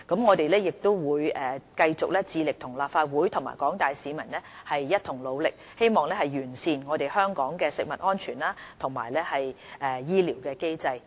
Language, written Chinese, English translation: Cantonese, 我們亦會繼續致力與立法會和廣大市民一同努力，希望完善香港的食物安全和醫療機制。, We will keep striving to work together with the Legislative Council and the public for the enhancement of food safety and the health care system of Hong Kong